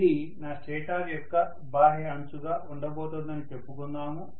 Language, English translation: Telugu, So let us say this is going to be my stator’s outer periphery